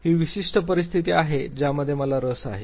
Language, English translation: Marathi, These are the specific conditions that I am interested in